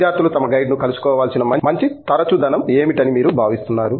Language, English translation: Telugu, What do you feel is a good frequency with which students should be meeting their guide